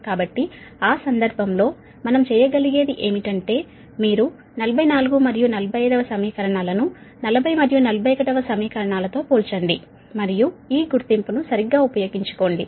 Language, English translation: Telugu, so in that case, what we could, we can do is you compare equation forty four and forty five with equation forty and forty one and make use of, make making use of this identity, right